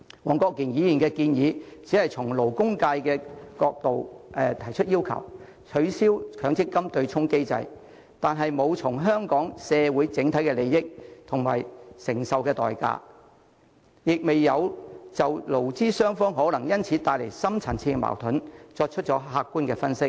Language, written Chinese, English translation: Cantonese, 黃國健議員的建議只是從勞工界的角度要求取消強積金對沖機制，但未有考慮香港社會的整體利益及所需承受的代價，亦未有就勞資雙方可能因此而面對的深層次矛盾作出客觀分析。, Mr WONG Kwok - kins proposal merely requests abolition of the MPF offsetting mechanism from the angle of the labour sector without considering the overall interests of Hong Kong society and the price payable . Neither does it make any objective analysis of the deep - rooted conflicts which employers and employees may consequently face